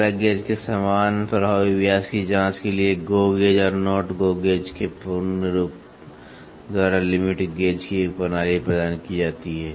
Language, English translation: Hindi, Similar to plug gauge a system of limit gauge is provided by the full form of GO gauge and NOT GO gauge to check the effective diameter